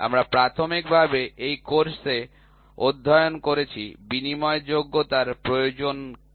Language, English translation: Bengali, So, we studied in this course initially what is the need for interchangeability